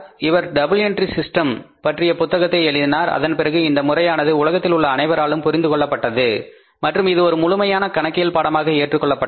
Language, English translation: Tamil, He wrote a book on the double entry accounting system and after that the system was understood by all around the world everybody all around the world and it was accepted as a full fledged discipline of accounting